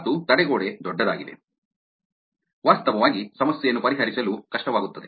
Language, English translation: Kannada, and the larger the barrier is, its actually hard to actually fix the problem